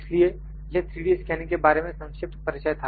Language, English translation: Hindi, So, this was a brief introduction about 3D scanning